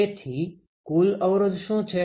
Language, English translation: Gujarati, What is the total resistance